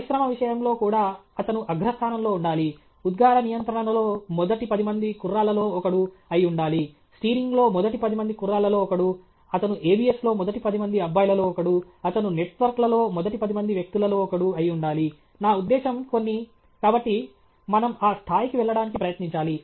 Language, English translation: Telugu, Even in the case of industry he is the top, he is one of the top ten guys in emission control, he is one of the top ten guys in steering, he is one of the top ten guys in ABS, he is one of the top ten guys in networks; I mean some… So, we should try to get there